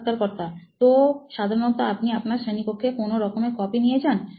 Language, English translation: Bengali, So you generally carry some kind of copy to your class